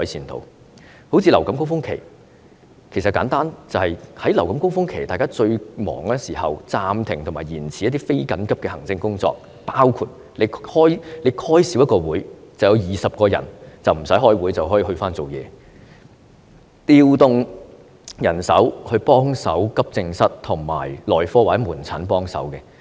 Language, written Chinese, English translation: Cantonese, 正如為應付流感高峰期，最簡單的做法，便是在流感高峰期最繁忙的時候，暫停和延遲一些非緊急的行政工作，例如減少召開一個會議，便有20人無須開會，可以回去工作；也可調動人手到急症室或門診幫忙。, For instance in order to cope with influenza peaks the simplest way is to suspend and postpone some non - urgent administrative work when the hospitals are extremely busy tackling the flu surge . If there is one less meeting it will mean that 20 people do not need to attend meeting and can be back to work or some manpower can also be deployed to help in the accident and emergency departments or outpatient clinics